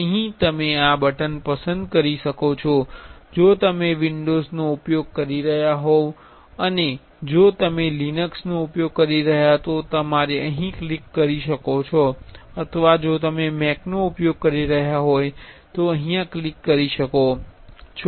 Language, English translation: Gujarati, Here you can choose this button if you are using windows, if you are using Linux you can click here or if you are using Mac you can click here